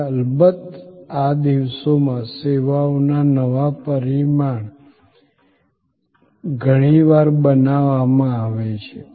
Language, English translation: Gujarati, And of course, new dimension of services are often created these days